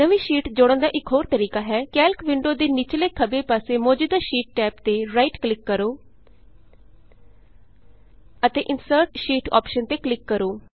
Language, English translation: Punjabi, Another method for inserting a new sheet is by right clicking on the current sheet tab at the bottom left of the Calc window and clicking on the Insert Sheet option